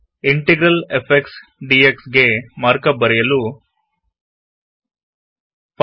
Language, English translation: Kannada, To write Integral f x d x, the markup is,5